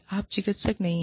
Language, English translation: Hindi, You are not a therapist